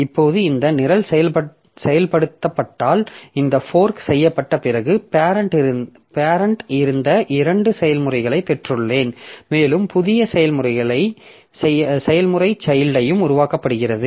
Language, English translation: Tamil, Now if this program is executed then after this fork has been done so I have got two processes the parent was there and a new process child is also created